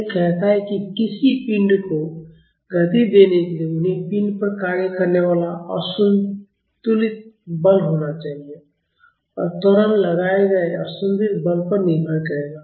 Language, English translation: Hindi, It says to accelerate a body, they should be an unbalanced force acting on the body and the acceleration will depend upon the unbalanced force applied